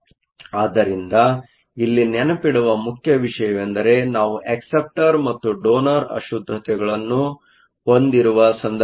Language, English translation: Kannada, So, The important thing to remember here is that, this is the case where we have acceptor and donor impurities